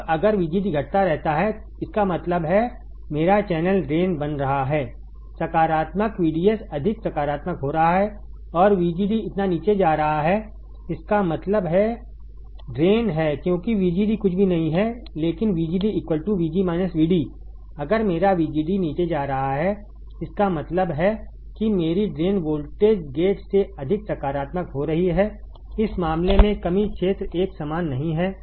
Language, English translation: Hindi, Now if VGD keeps on decreasing; that means, my drain is drain is becoming more positive, VDS is becoming more positive and VGD is going down so; that means, drain is because VGD is nothing, but VGD is VG minus VD right VGD is nothing, but VG minus VD